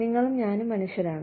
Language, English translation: Malayalam, You and I are human beings